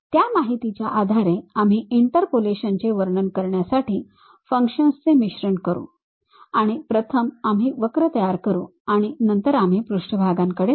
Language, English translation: Marathi, Based on that information we will blend the functions to describe the interpolations and first we will always construct curves and then we will go with surfaces